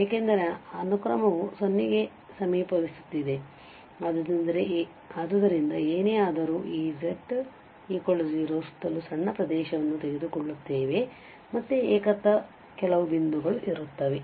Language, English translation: Kannada, Because the sequence is approaching to 0, so whatever, however, small neighbourhood we take around this z equal to 0 there will be some points which are singular again